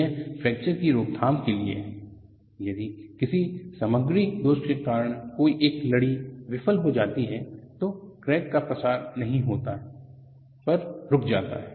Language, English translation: Hindi, It is for fracture prevention; if due to material defects one of the strands fails, that crack does not propagate, but gets arrested